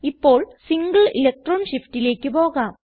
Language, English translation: Malayalam, Now lets move to single electron shift